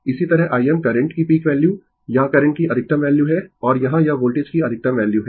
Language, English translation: Hindi, Similarly, I m is the peak value of the current or maximum value of the current and here it is maximum value of the voltage